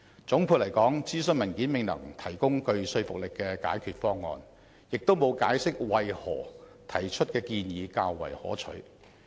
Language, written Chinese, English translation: Cantonese, 總括而言，諮詢文件未能提供具說服力的解決方案，亦沒有解釋為何提出的建議較為可取。, In conclusion a convincing solution is not available in the consultation paper and neither is an explanation given on the desirability of adopting the proposals put forward